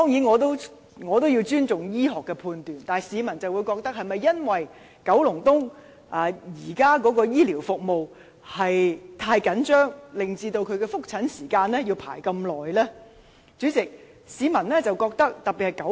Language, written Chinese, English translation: Cantonese, 我當然尊重醫學判斷，但市民會認為，是否因為現時九龍東的醫療資源太緊張，以至他的覆診時間要輪候這麼久呢？, Of course I respect medical decisions but people may wonder if it is because of the currently scarce healthcare resources in Kowloon East that the waiting time for the follow - up consultation is so long